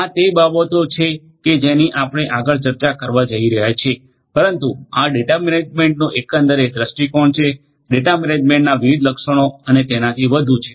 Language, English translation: Gujarati, Those are the things that we are going to discuss next, but this is the overall per view of data management so the different attributes of data management and so on